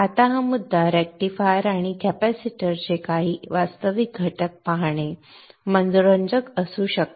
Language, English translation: Marathi, Now at this point it may be interesting to see some real components of the rectifier and the capacitors